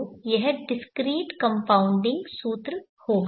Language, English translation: Hindi, So this would be the discrete compounding formula